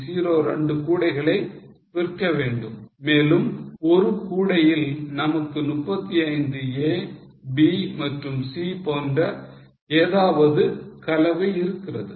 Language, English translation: Tamil, 02 baskets and in one basket we have got 35, A, B and C, whatever is the amount